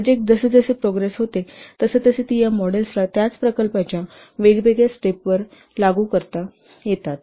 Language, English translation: Marathi, As the project progresses, these models can be applied at different stages of the same project